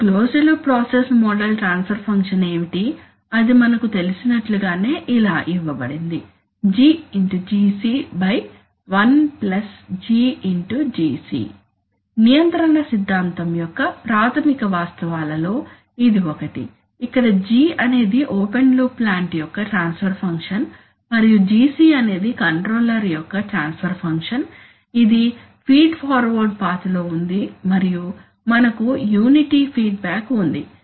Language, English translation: Telugu, Now if I also, now what is the closed loop process model transfer function, we know that it is given by, GGc by one plus GGc, This is the one of the elementary facts of control theory, where G is the transfer function of the open loop plant and Gc is the transfer function of the controller which is in the feed, which is in the forward path and we have unity feedback